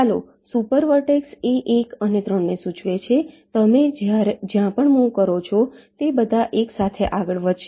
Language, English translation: Gujarati, lets super vertex will indicate that one and three, where ever you move, they will all move together